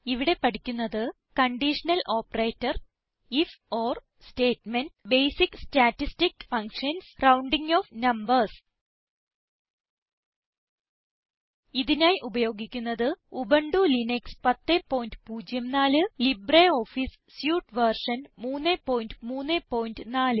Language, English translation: Malayalam, In this tutorial we will learn about: Conditional Operator If..Or statement Basic statistic functions Rounding off numbers Here we are using Ubuntu Linux version 10.04 as our operating system and LibreOffice Suite version 3.3.4